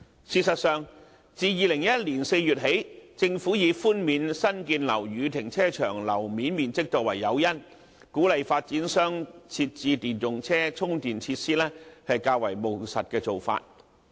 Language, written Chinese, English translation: Cantonese, 事實上，自2011年4月起，政府己寬免新建樓宇停車場樓面面積，以鼓勵發展商設置電動車充電設施，是較為務實的做法。, Actually the Government had taken a pragmatic approach in this regard by tightening the granting of concession on gross floor area for private car parks in new buildings from as early as April 2011 to encourage developers to provide the EV charging - enabling infrastructure